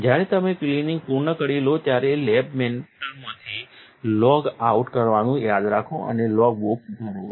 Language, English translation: Gujarati, When you are done with the cleaning, remember to logout out of lab mentor and fill in the logbook